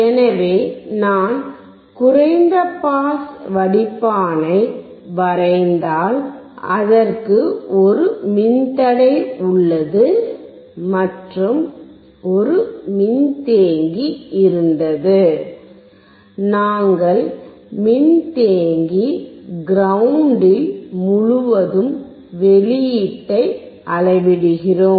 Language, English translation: Tamil, So, if I draw a low pass filter, it has a resistor, and there was a capacitor, and we were measuring the output across the capacitor ground